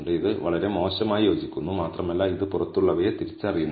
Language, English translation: Malayalam, It fits pretty badly and it is also not identify the outliers